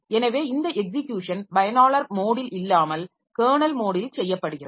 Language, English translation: Tamil, So, this is this execution is done in the kernel mode of execution, not in the user mode